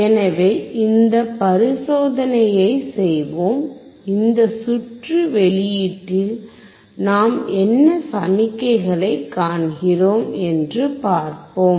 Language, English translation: Tamil, So, let us do this experiment, and see what signals we see at the output of this circuit